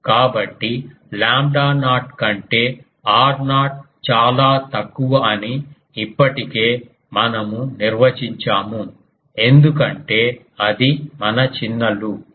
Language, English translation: Telugu, So, already we have defined that r naught is much much less than lambda naught because that is our small loop